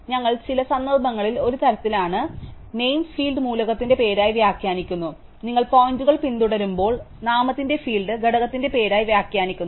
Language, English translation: Malayalam, So, we are kind of in some context, we are interpreting the name field as name of the element and when you following pointers, we are interpreting the name field as a name of the component